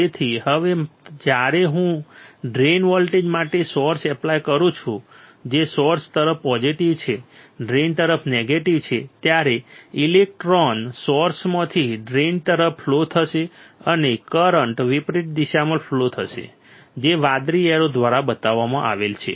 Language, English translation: Gujarati, So, that now when I apply a source to drain voltage which is positive towards source, negative towards drain then the electrons will flow from source to drain and the current will flow in the reverse direction, which is shown by the blue arrow all right easy understood very clear right